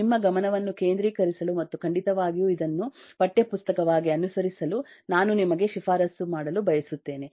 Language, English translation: Kannada, just to keep you focused, and certainly I would like to recommend you to follow this book as a text book